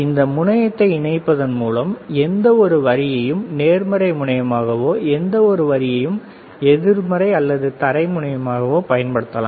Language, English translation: Tamil, You can use any line as positive any line as negative by connecting this terminal